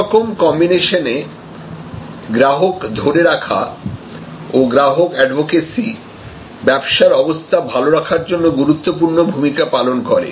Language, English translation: Bengali, And we will see that in all combinations, retention today, customer retention and more importantly customer advocacy plays a crucial part in the well being of the business